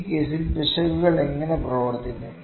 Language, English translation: Malayalam, How would the errors behave in this case